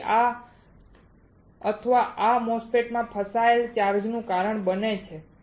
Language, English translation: Gujarati, And this will or this may cause trapped charges in MOSFET